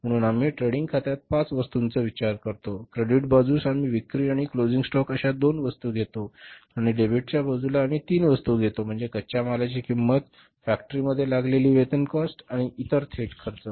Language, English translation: Marathi, On the credit side we take two items that is a sales and closing stock and on the debit side we take three items that is the raw material cost, wages cost that is incurred at the factory level, production level and the other direct expenses